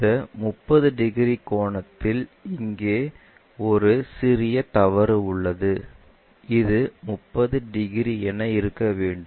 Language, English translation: Tamil, This 30 degrees angle ah there is a small mistake here, it is supposed to be 30 degrees well